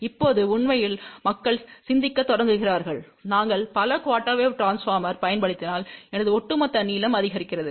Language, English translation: Tamil, Now, actually people start thinking then if we use too many quarter wave transformers, my overall length increases